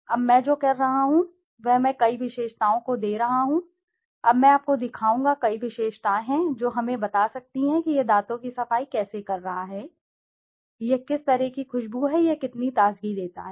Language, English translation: Hindi, Now what I am doing is I am giving several attributes, now I will show you, there are several attributes could be let us say how it is cleaning the teeth, how it is, what kind of fragrance it is having, how freshness it gives